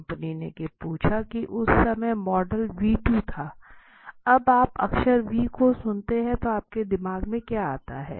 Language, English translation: Hindi, So company asked there was the model v2 at that time what comes to your mind when v comes when you listen to the letter v right